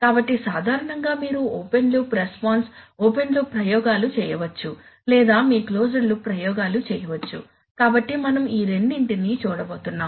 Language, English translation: Telugu, So typically you can have either open loop response, open loop experiments or you can have closed loop experiments so we are going to look at these two